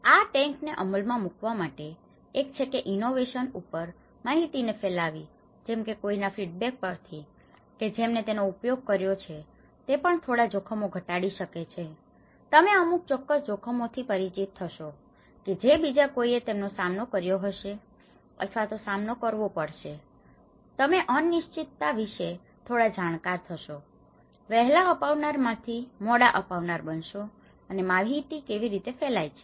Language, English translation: Gujarati, In order to implement these tanks, one is sharing information on innovation whether someone's feedback, someone who have used it that can also reduce some risks, you will become familiar with certain risks which someone else have faced it or they have encountered also you will get some familiarity about the uncertainties, from an early adopter to the late adopters now, how information flows